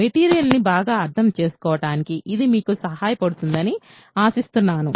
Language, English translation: Telugu, So, this will hopefully help you understand the material much better